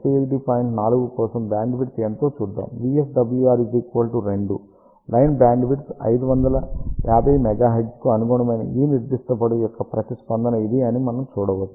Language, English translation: Telugu, 4, we can see this is the response for this particular length corresponding to VSWR equal to 2 line bandwidth obtained is 550 megahertz